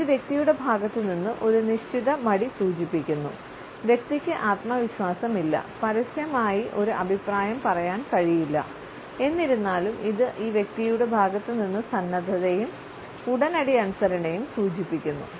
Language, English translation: Malayalam, It indicates a certain hesitation on the part of the person, the person has diffidence and cannot openly wise an opinion, but nonetheless it also communicates a willing and immediate obedience on the part of this person